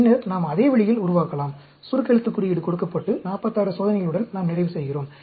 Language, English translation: Tamil, Then, we can develop in the same way, the shorthand notation is given and we end up with 46 experiments